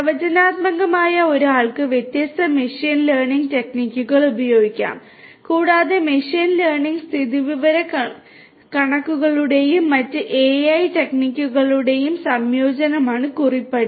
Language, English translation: Malayalam, Predictive one could use different you know machine learning techniques and so on and prescriptive could be a combination of machine learning statistics and different other AI techniques